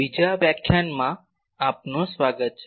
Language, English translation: Gujarati, Welcome to the second lecture